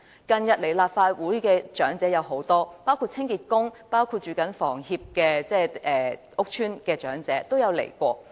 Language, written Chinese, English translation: Cantonese, 近日，有很多長者來到立法會，包括清潔工、居於香港房屋協會屋邨的長者等。, Recently many elderly persons including cleaning workers and those living in housing estates managed by Hong Kong Housing Society have come to the Legislative Council